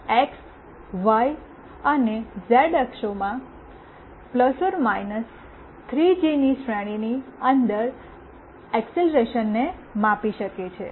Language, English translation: Gujarati, This can measure acceleration within the range of ±3g in the x, y and z axes